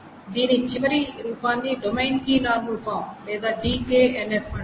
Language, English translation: Telugu, The final form of this is called the domain key normal form or the DKNF